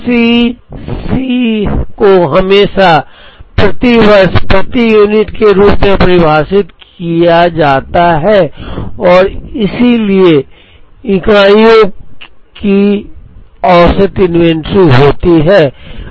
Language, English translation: Hindi, C c is always defined as rupees per unit per year and therefore, average inventory is in units